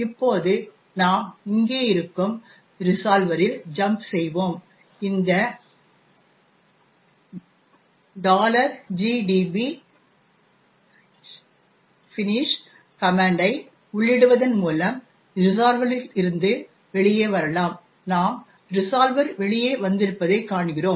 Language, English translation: Tamil, Now, we are going to jump into the resolver, which is here, and we can come out of this resolver by entering a command finish and we see that we have come out of the resolver